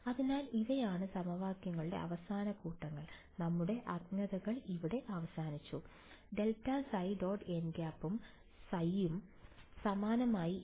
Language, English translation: Malayalam, So, these are the final sets of equations, that we have are unknowns are over here, grad phi dot n hat and phi similarly here